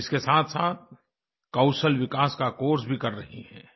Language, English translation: Hindi, Along with this, they are undergoing a training course in skill development